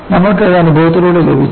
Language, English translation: Malayalam, You have got it by experience